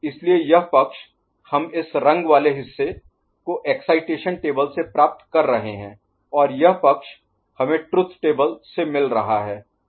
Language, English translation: Hindi, So, this side we are getting from excitation table putting this color, and this side we are getting from truth table right